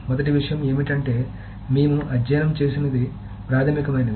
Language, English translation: Telugu, So the first thing of course we studied is the basic one